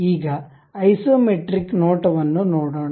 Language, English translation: Kannada, Now, let us look at isometric view